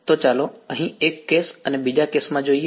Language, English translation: Gujarati, So, let us look at in one case and another case over here ok